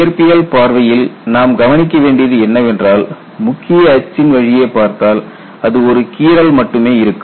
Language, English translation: Tamil, So, what we will have to look at is, from physics point of view, I have looked at when you are having the major axis it is only a scratch